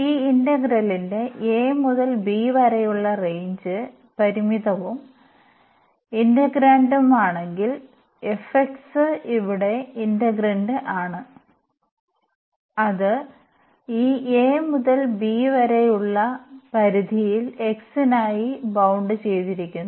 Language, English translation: Malayalam, If the range here a to b of this integral is finite and the integrand so, the f x is the integrand here and that is bounded in this range a to b for x